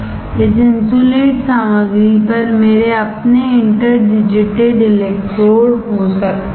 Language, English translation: Hindi, On this insulating material I can have my interdigitated electrodes